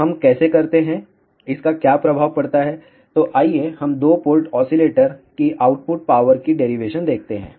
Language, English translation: Hindi, So, how we do that, what is the effect of that; so let us look at the derivation of output power of two port oscillator